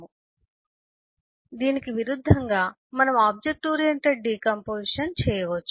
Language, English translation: Telugu, in contrast, we can do an object oriented decomposition